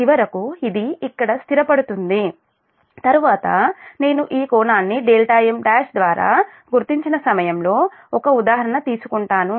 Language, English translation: Telugu, so finally it will settle on this here later will take an example at the time i have marked this angle by day m dash